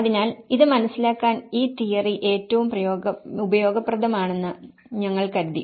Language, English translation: Malayalam, So, that is where we thought this theory is most useful to understand this